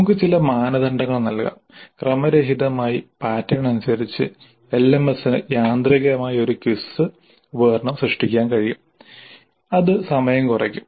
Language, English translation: Malayalam, We can give certain criteria and randomly according to that pattern the LMS can create a quiz instrument automatically and that would reduce the time